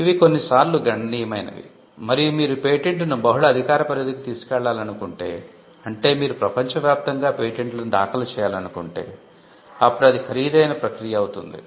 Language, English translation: Telugu, There are upfront costs in patenting, which are sometimes substantial, and if you want to take the pattern to multiple jurisdictions; say, you want to file patents all over the world, cover the major jurisdictions, then it will be a expensive process to do